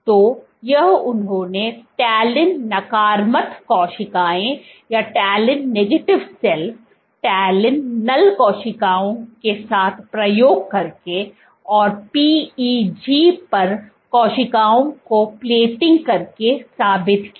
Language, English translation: Hindi, So, this they proved by doing experiments with talin negative cells, talin null cells and by plating cells on PEG